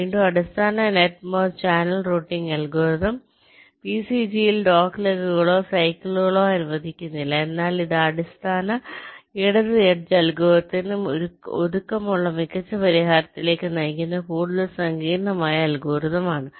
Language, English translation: Malayalam, and again, the basic net merge channel routing algorithm does not allow doglegs or cycles in the vcg, but this is the more sophisticate kind of a algorithm that leads to better solution, as compact to the basic left ed[ge] algorithm